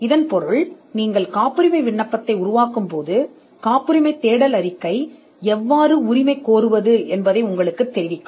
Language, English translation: Tamil, Which means as you draft the patent application, the patentability search report will inform you how to claim